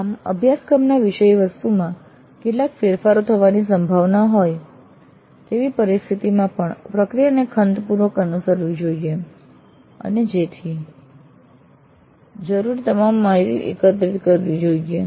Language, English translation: Gujarati, Thus, even in situations where there are likely to be some changes in the course contents, the process should be followed diligently and all the data required is collected and recorded